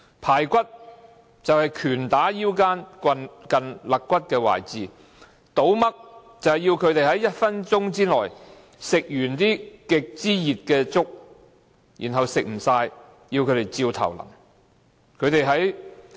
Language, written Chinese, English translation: Cantonese, "排骨"就是拳打腰間近肋骨的位置；"倒嘜"就是要他們在1分鐘內吃光極熱的粥，如果吃不完，便直接倒在他們頭上。, Ribs means punching an offenders waist near the ribs . Pouring Mug means that the inmates are requested to finish a bowl of extremely hot congee within one minute or the bowl of congee will be poured directly onto their heads if they cannot finish eating